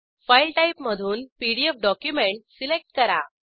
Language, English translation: Marathi, From File Type , select PDF document